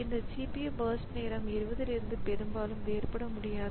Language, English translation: Tamil, So, this CPU burst time cannot be largely different from 20